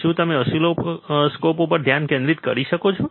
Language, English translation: Gujarati, Can you please focus oscilloscope